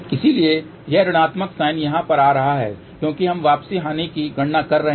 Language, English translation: Hindi, So, this minus sign is coming over here because we are calculating return loss